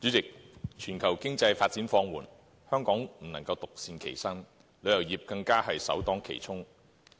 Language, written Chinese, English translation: Cantonese, 代理主席，全球經濟發展放緩，香港不能獨善其身，旅遊業更是首當其衝。, Deputy President amid the global economic slowdown Hong Kong cannot be spared and the tourism industry is the first to take the brunt